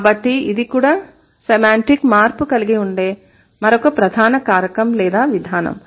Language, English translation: Telugu, So, this is also another major factor or this is also another major mechanism which includes semantic change